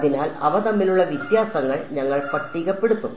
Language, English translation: Malayalam, So, we will just list out the differences between them